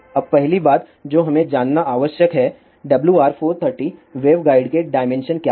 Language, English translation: Hindi, Now first thing which we need to know is; what are the dimensions of WR430 wave guide